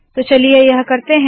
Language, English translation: Hindi, So lets do that